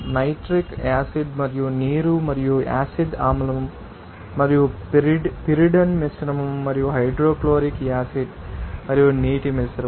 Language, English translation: Telugu, The mixture of nitric acid and water and mixture of you know that acidic acid and you know pyridine and also mixture of you know hydrochloric acid and water